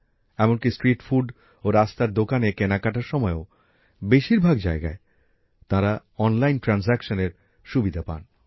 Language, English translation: Bengali, Even at most of the street food and roadside vendors they got the facility of online transaction